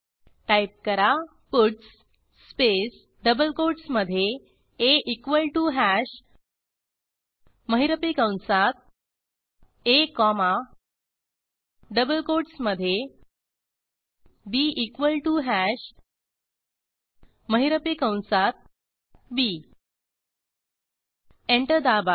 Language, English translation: Marathi, Type puts space within double quotes a equal to hash within curly brackets a comma within double quotes b equal to hash within curly brackets b Press Enter